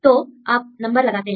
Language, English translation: Hindi, So, you put the number